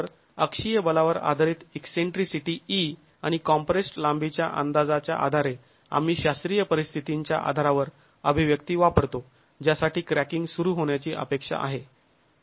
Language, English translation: Marathi, So based on the eccentricity of the axial force E and the estimate of the compressed length we use the expressions based on the classical condition for which cracking is expected to begin